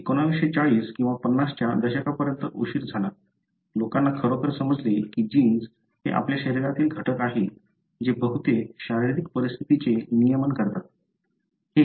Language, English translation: Marathi, It was late until 1940’s or early 50’s, people really understood that genes are the elements in your body that regulates most of the physiological conditions